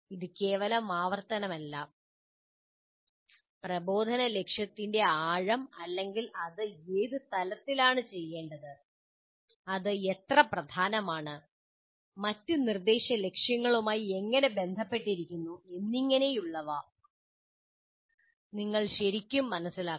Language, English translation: Malayalam, He must really understand the depth of the instruction goal or the at what level it has to be done, how important it is, how it is related to other instructional goals and so on